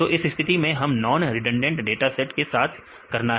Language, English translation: Hindi, So, in this case we have to do with non redundant dataset